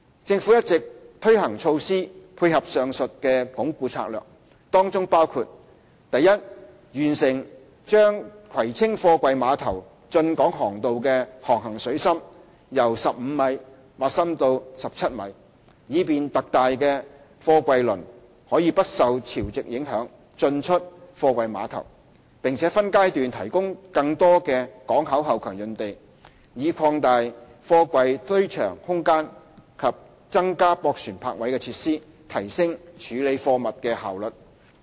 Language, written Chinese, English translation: Cantonese, 政府一直推行措施，配合上述的"鞏固"策略。當中包括：第一，完成把葵青貨櫃碼頭的進港航道的航行水深由15米挖深至17米，以便特大貨櫃輪可不受潮汐影響進出貨櫃碼頭；並分階段提供更多港口後勤用地，以擴大貨櫃堆場空間及增加駁船泊位設施，提升處理貨物的效率。, The Government has implemented a number of measures to complement the above mentioned consolidation strategies which include First the deepening of the Kwai Tsing Container Basin from 15 m to 17 m has been completed to enable ultra - large container vessels to access the terminals at all tides . More port back - up sites are also made available in phases to expand the terminal back - up yard and provide additional barge berths to enhance cargo handling efficiency